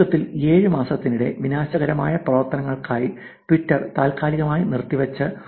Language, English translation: Malayalam, 1 million accounts suspended by Twitter for disruptive activities over the course of 7 months